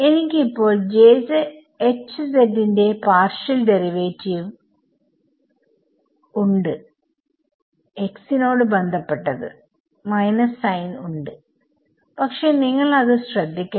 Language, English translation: Malayalam, Now I have partial derivative of h with respect to x with the minus sign never mind the minus sign H z first term